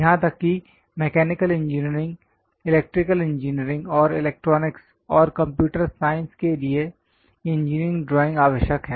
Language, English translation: Hindi, Even for mechanical engineering, electrical engineering, and electronics, and computer science engineering drawing is very essential